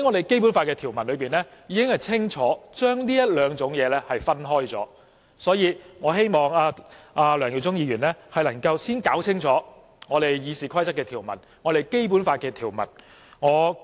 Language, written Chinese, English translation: Cantonese, 《基本法》條文已清楚把這兩種情況分開，因此，我希望梁耀忠議員能夠弄清楚《議事規則》和《基本法》的條文。, The Basic Law already makes a clear distinction between the two circumstances . Thus I hope Mr LEUNG Yiu - chung can sort out his understanding of the provisions of the Rules of Procedure and the Basic Law